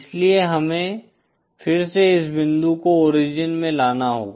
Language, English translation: Hindi, So we have to again bring this point to the origin